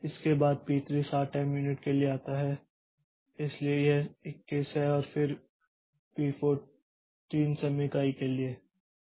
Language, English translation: Hindi, So, P1 executes for 6 time units followed by P3 for 7 time units and then P2 for 8 time units